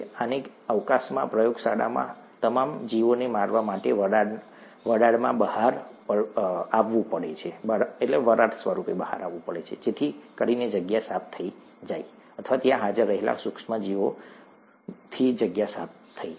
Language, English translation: Gujarati, This has to come out into the vapour to kill all the organisms, in the space, in the lab so that the space is made clean or the space is made clear of these micro organisms that are present there